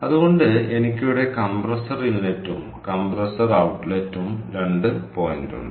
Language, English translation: Malayalam, so what i have is i have to point here compressor inlet and compressor outlet